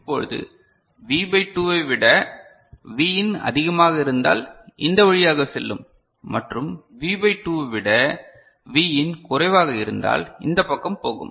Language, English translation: Tamil, So now, it Vin is greater than V by 2 so, then you go this way and if V in is less than V by 2 you go the other way ok